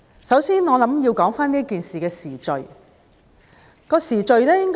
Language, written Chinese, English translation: Cantonese, 首先，我認為要說說這件事的時序。, First of all I think I need to talk about the chronology of events leading up to this incident